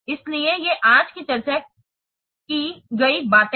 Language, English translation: Hindi, So these are the things that we have discussed on today